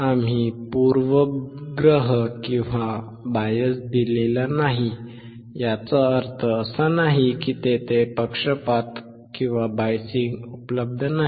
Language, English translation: Marathi, We have not given a bias; that does not mean that bias is not there